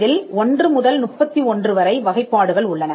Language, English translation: Tamil, There are classes 1 to 31 and class 99